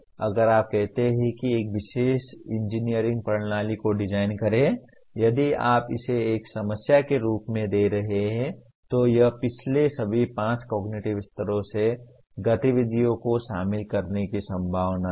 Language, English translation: Hindi, But if you say create, design a particular engineering system if you are giving it as a problem it is likely to involve activities from all the previous five cognitive levels